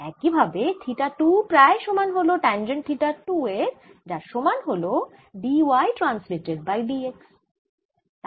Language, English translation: Bengali, theta one is roughly same as tan theta one, which is same as d y, incident by d x